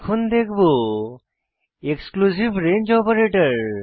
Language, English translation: Bengali, Now we will see an exclusive range operator